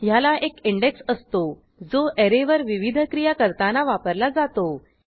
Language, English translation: Marathi, It has an index, which is used for performing various operations on the array